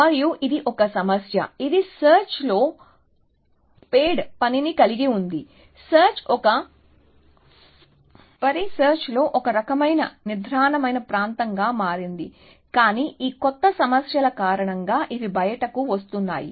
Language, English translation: Telugu, And it is a problem, which has spade work in search, search had become a kind of dormant area in a research, but because of this new problems, which are coming out